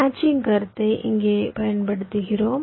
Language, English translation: Tamil, ah, here we use the concept of a matching